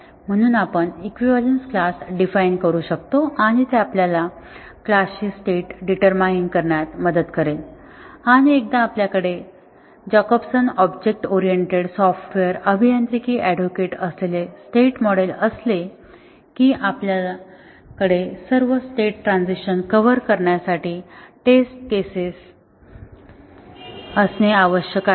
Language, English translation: Marathi, So, we can define equivalence classes and that will help us determine the states of the class and once we have the state model Jacobson’s object oriented software engineering advocates that we have to have test cases to cover all state transitions and not only that in each state all the methods have to be tested